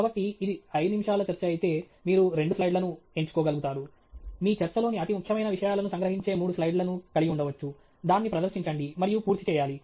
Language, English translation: Telugu, So, if it’s a 5 minute talk, you should be able to pick 2 slides, may be 3 slides which capture the most important things of your talk, present it, and be done